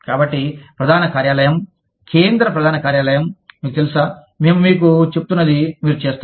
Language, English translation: Telugu, So, the head office, the central headquarters say that, you know, you just do, whatever we are telling you